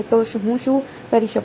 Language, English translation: Gujarati, So, what can I do